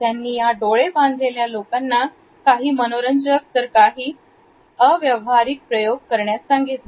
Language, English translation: Marathi, He had expose them, these blindfolded people to some interesting and rather bizarre experimentations